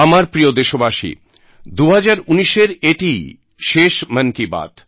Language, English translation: Bengali, My dear countrymen, this is the final episode of "Man ki Baat" in 2019